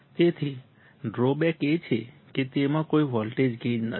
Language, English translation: Gujarati, So, the drawback is that that it has no voltage gain